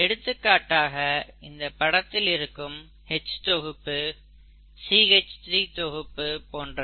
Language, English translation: Tamil, For example, this H group, CH3 group, CH3 and so on